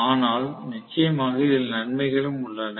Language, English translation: Tamil, But there are definitely plus points as well